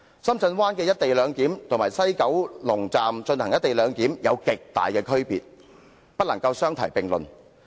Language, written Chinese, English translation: Cantonese, 深圳灣的"一地兩檢"與西九龍站的"一地兩檢"有着極大的差別，不能相提並論。, Actually the co - location model adopted at Shenzhen Bay is so much different from that to be implemented at West Kowloon Station and no comparison should be drawn between the two